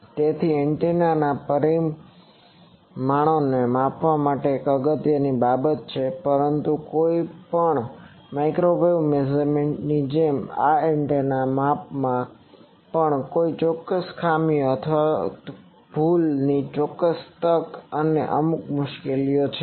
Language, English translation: Gujarati, So, measuring antennas parameters is an important thing, but like any microwave measurement this antenna measurement also has certain drawbacks or certain chance of error and certain complexities